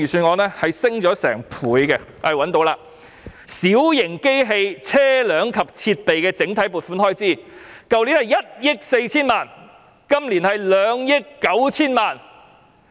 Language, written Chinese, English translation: Cantonese, 我讀出有關的數字，小型機器、車輛及設備整體撥款開支，上年度是1億 4,000 萬元，本年度是2億 9,000 萬元。, I will read out the relevant figures . The proposed expenditure for Minor plant vehicles and equipment last year was 140 million; and it is 290 million this year